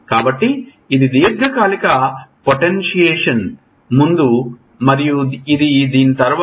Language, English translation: Telugu, So, this is before long term potentiation and this is after it